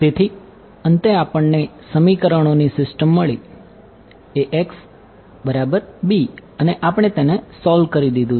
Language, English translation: Gujarati, So, finally, we got a system of equations a x is equal to b and we have solved it right